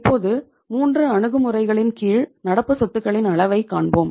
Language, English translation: Tamil, Now, we will see the level of current assets under the 3 approaches